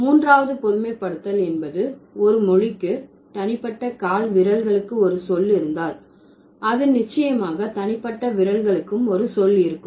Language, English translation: Tamil, Third generalization was that if a language has an individual word, sorry, has a word for individual toes, then it would definitely have a word for individual fingers